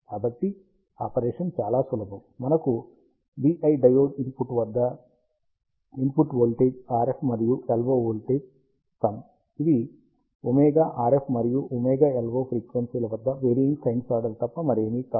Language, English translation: Telugu, So, the operation is quite simple we have v i input voltage at the diode input to be the sum of the RF and the LO voltage, which are nothing but sinusoids varying at omega RF and omega LO frequency